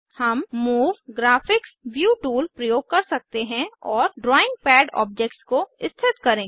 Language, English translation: Hindi, We can use the Move Graphics View tool and position the drawing pad objects